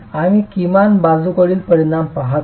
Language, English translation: Marathi, We are looking at the least lateral dimension